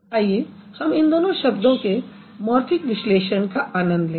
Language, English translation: Hindi, So, now let's try to play around with the morphemic analysis of these two words